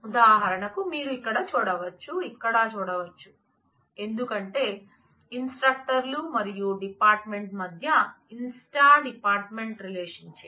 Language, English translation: Telugu, For example, you can see it here, we can see it here, because in between instructor and the department the inst department relationship